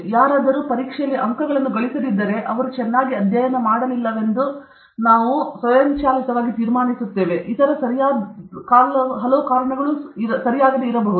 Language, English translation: Kannada, If somebody has not scored marks, we automatically conclude that he has not studied well; there may be many other reasons okay